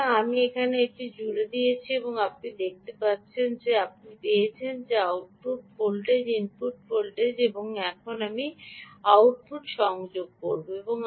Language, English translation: Bengali, ok, so i have connected across this and you can see that you got that output voltage, ah, input voltage